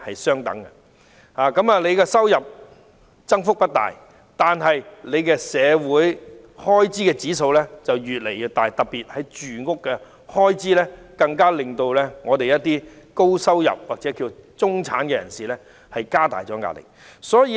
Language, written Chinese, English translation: Cantonese, 市民的收入增幅不大，但社會開支卻越來越高，特別是住屋開支，令部分高收入或中產人士承受的壓力越來越大。, While the increase in income was insignificant the expenses of living in society have been rising particularly housing expenses putting increasing pressure on some high - income or middle - income people